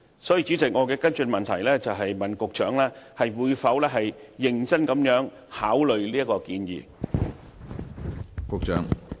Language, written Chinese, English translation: Cantonese, 所以，主席，我的補充質詢是：局長會否認真考慮這項建議？, Thus President my supplementary question is will the Secretary seriously consider this suggestion?